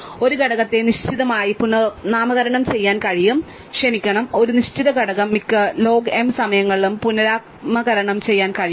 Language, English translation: Malayalam, So, therefore, a component s can be relabeled a fixed, sorry a fixed element s can be relabeled at most log m times